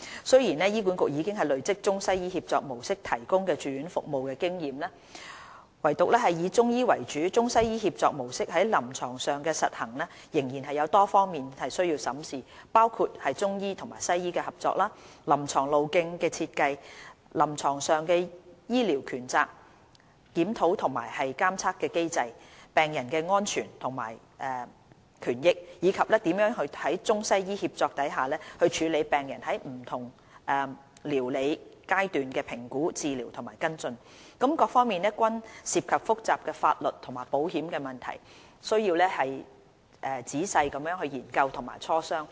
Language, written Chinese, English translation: Cantonese, 雖然醫管局已累積中西醫協作模式提供住院服務的經驗，唯獨以中醫為主的中西醫協作模式在臨床上的實行仍有多方面需要審視，包括中醫和西醫的合作、臨床路徑的設計、臨床上的醫療權責、檢討和監察機制、病人的安全及權益，以及如何在中西醫協助下處理病人在不同療理階段的評估、治療和跟進等，各方面均涉及複雜的法律和保險問題，需時仔細研究和磋商。, Although HA has gained experience in the provision of ICWM inpatient services there are areas which still need to be examined when the ICWM model with Chinese medicine having the predominant role is put into clinical practice . These include collaboration between Chinese medicine practitioners and Western medicine doctors design of clinical pathways clinical accountability review and monitoring systems patients safety and rights and ways to handle the assessment treatment and follow - up of patients in different treatment episodes under the ICWM approach . The above issues involve complicated legal and insurance matters which require thorough study and discussion